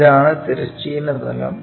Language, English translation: Malayalam, This is the horizontal plane